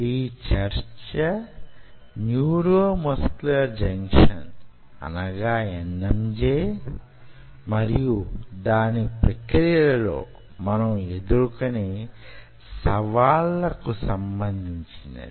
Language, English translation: Telugu, in the next class we will further this a story of neuromuscular junction and its challenges in the process